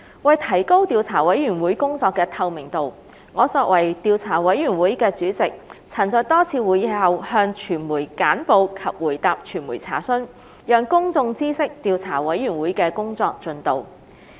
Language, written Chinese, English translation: Cantonese, 為提高調査委員會工作的透明度，我作為調査委員會的主席，曾在多次會議後向傳媒簡報及回答傳媒査詢，讓公眾知悉調查委員會的工作進度。, In order to enhance the transparency of the Investigation Committees work as Chairman of the Investigation Committee I have conducted briefings for the media and answered media enquiries after a number of meetings so that the public could be aware of the work progress of the Investigation Committee